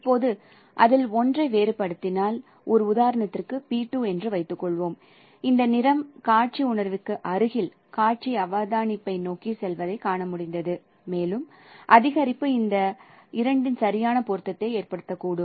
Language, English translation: Tamil, Now if I vary one of them, for example P2 I could see that now this color is going near to this through our visual sensation, to our visual observation and further increase may cause exact matching of these two